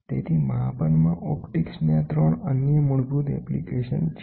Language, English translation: Gujarati, So, these are the 3 other basic application of optics in measurement